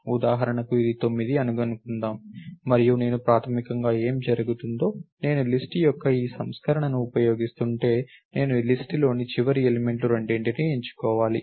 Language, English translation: Telugu, For example, suppose this was 9 and what will happens I basically, if I am using this version of the list, I have to pick both the last elements in the list